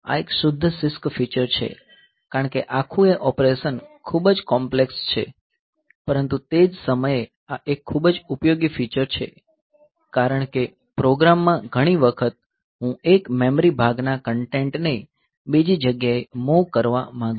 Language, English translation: Gujarati, So, this is a pure CISC feature because the whole operation is very complex, but at the same time this is a very useful feature because many a time in the program so, would like to move the content of one memory chunk to another that way will be very often requiring this type of operation